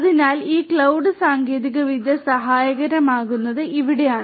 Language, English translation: Malayalam, So, this is where this cloud technology becomes helpful